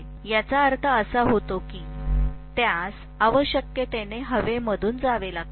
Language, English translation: Marathi, So that means it has to necessarily pass through air